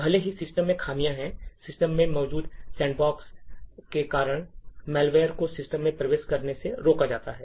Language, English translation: Hindi, Even though the system has flaws, malware is actually prevented from entering into the system due to the sandbox container that is present in the system